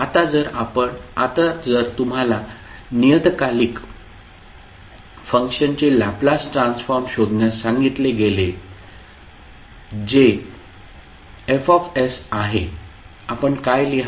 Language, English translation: Marathi, So now if you are asked to find out the Laplace transform of the periodic function that is F s what you will write